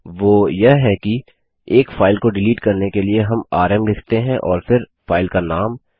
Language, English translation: Hindi, That is do delete a single file we write rm and than the name of the file